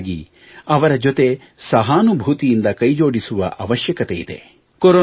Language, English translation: Kannada, On the contrary, they need to be shown sympathy and cooperation